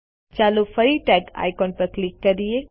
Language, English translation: Gujarati, Lets click on the icon Tagged again